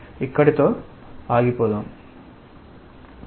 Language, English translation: Telugu, Let us stop here